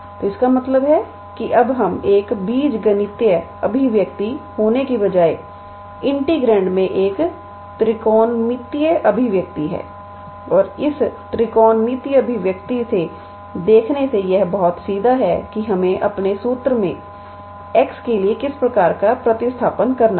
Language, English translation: Hindi, So, that means, instead of having an algebraic expression we now, have a trigonometrical expression in the integrand and from looking at this trigonometrical expression it is very straightforward that we have to do some kind of substitution for x in our formula